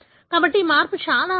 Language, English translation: Telugu, So, this change, it is rare